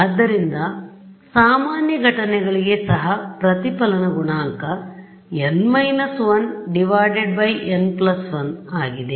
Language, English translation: Kannada, So, even for normal incidence the reflection coefficient is n minus 1 by n plus 1